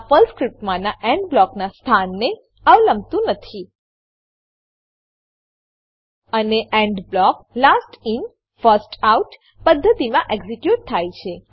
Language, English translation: Gujarati, This is irrespective of the location of the END block inside the PERL script and END blocks gets executed in the Last In First Out manner